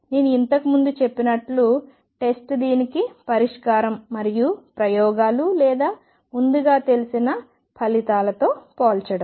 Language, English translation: Telugu, As I said earlier is the solution of this and comparison with the experiments or earlier known results